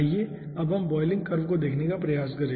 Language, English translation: Hindi, now let us try to see the boiling curve